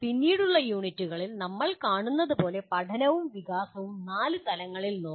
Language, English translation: Malayalam, And learning and development as we will see in later units can be looked at 4 levels